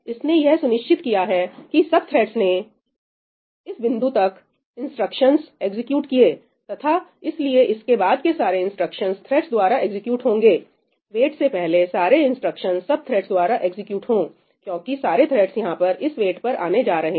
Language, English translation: Hindi, It has ensured that all the threads have executed instructions up to this point and therefore, all the instructions after this will get executed by the threads after all the threads have executed all the instructions before this wait because all the threads are going to come in wait over here